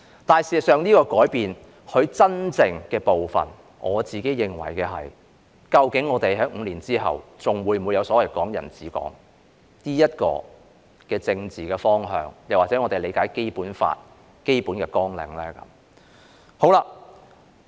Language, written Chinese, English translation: Cantonese, 事實上，我認為這個改變真正的部分，是究竟在5年後，我們是否仍然有所謂"港人治港"的政治方向，又或是我們理解的《基本法》的基本綱領呢？, In fact I think the real part of this change is whether five years later we will still have the political direction of so - called Hong Kong people administering Hong Kong or the fundamental framework of the Basic Law in our comprehension